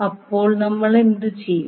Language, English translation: Malayalam, So what we will do now